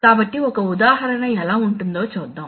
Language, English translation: Telugu, So let us see how so one example